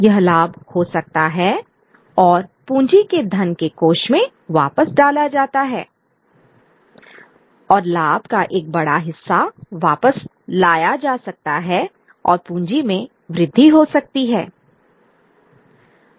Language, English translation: Hindi, This profit can be regurgitated and put back into the kitty of capital and a large part of the profit could be put back and leads to an increase in capital